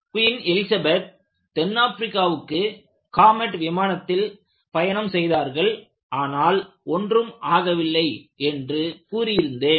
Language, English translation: Tamil, In fact, I was told that queen Elizabeth has travelled in the comet to southAfrica; fortunately, nothing happened